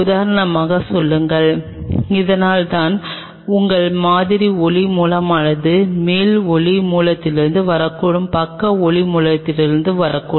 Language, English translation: Tamil, Say for example, this is why your sample is light source may come from top light source may come from side light source may come from bottom